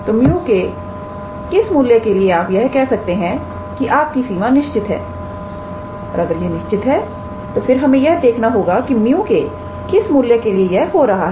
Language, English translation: Hindi, So, for what value of mu you can be able to show that the limit is finite and if it is finite then we have to see for what values of mu is that happening